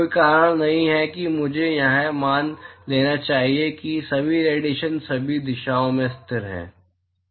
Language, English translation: Hindi, There is no reason why I should assume that all the radiation is constant in all directions